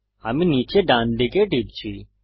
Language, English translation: Bengali, I am clicking to the bottom right